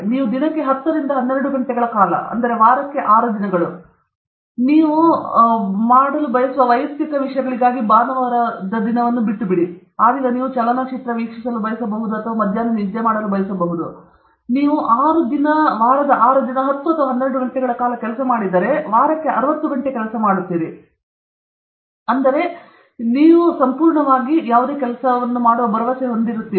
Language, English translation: Kannada, If you spend 10 to 12 hours a day, 6 days a week, leave the Sunday for your personal things you want to do sport or you want to watch movie whatever or you want to just sleep off in the afternoon if you spend about 60 hours a week, it takes 3 to 4 hours, 3 to 4 years before we get that vision that dharshan and you say, that yes, I am completely confident about what I am doing